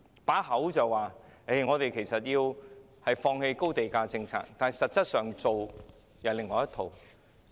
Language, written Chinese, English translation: Cantonese, 儘管口口聲聲說要放棄高地價政策，但所做的卻是另外一套。, It has always claimed that it would very much want to abandon the high land price policy but this is very much a lip service